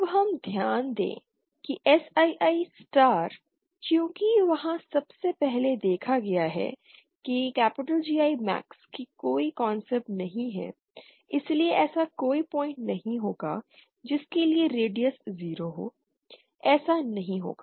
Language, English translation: Hindi, Now we note one thing like in that SII star, since there is see first of all there is no concept of GI max okay so there will not be a point for which the radius is 0 that will not happen